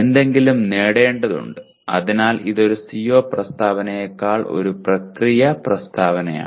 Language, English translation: Malayalam, A something needs to be attained, so this is a process statement rather than a CO statement